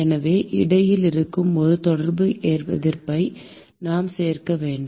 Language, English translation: Tamil, So, we need to include a Contact Resistance which is present in between